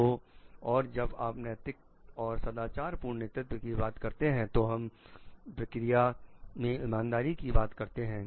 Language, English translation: Hindi, So and when you are talking of ethical and moral leadership we are talking about the fairness of the processes